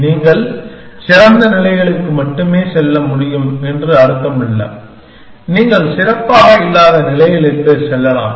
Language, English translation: Tamil, It does not means that you can only go to better states; you can go to states which are not necessarily better